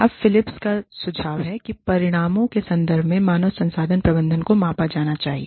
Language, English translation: Hindi, Now, Philips suggests that, human resources management, should be measured, in terms of results